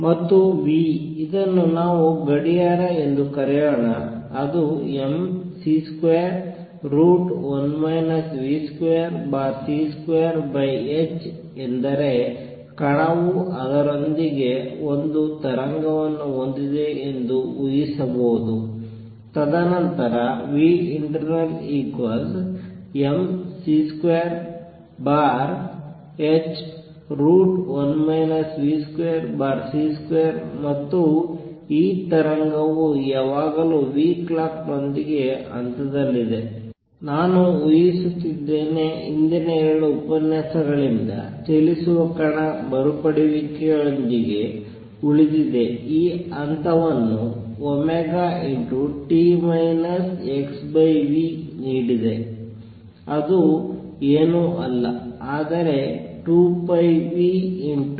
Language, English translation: Kannada, And nu let us call it clock, which is mc square, square root of one minus v square over c square over h is to assume that the particle has a wave associated with it, and then the frequency nu internal equals mc square over h square root of 1 minus v square over c square, and this wave is always in phase with nu clock, that I am assuming remains with the moving particle recall from previous 2 lectures that this phase is given by omega t minus x by v which is nothing, but 2 pi nu t minus x over v